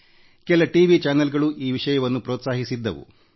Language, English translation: Kannada, Some TV channels also took this idea forward